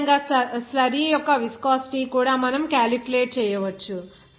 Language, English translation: Telugu, Similarly, the viscosity of the slurry also you can calculate